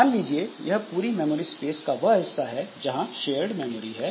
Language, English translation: Hindi, Suppose this is the shared memory space of the full memory